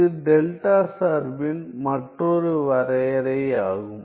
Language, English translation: Tamil, This is another definition of delta function